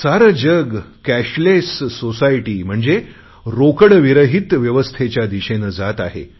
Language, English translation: Marathi, The whole world is moving towards a cashless society